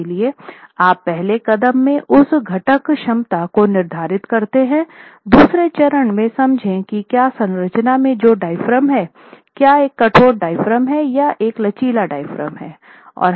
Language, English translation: Hindi, Your second step is to understand whether the diaphragm that is there in the structure, is it a rigid diaphragm or is it a flexible diaphragm